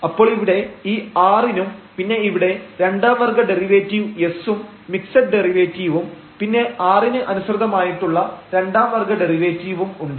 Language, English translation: Malayalam, So, we have 3 equations now, this is for 3 expressions, so here for the r and then we have the s the second order derivative the mixed derivative and then we have the second order derivative with respect to t